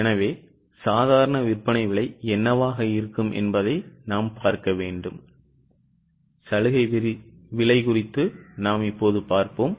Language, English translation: Tamil, Let us see notionally what would be the normal selling price